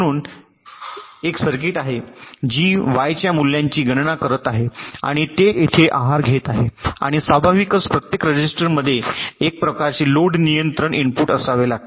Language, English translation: Marathi, so there is a circuit which is calculating the value of y and it is feeding here, and naturally, with each register, there has to be a some kind of a load control input